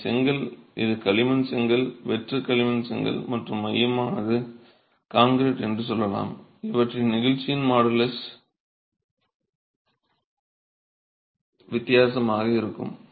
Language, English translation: Tamil, They are all of different, let's say this is clay, this is clay brick, hollow clay brick and the core is concrete itself, the modulus of elasticity of these are going to be different, right